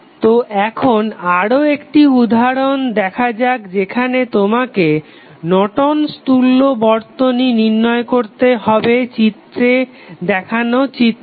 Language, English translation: Bengali, So, now let us see another example where you need to find out the Norton's equivalent for the circuit given in the figure